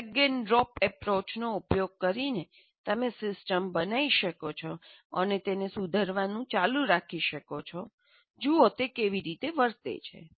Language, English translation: Gujarati, So you can build using kind of a drag and drop approach you can build the system and even keep modifying it and see how it behaves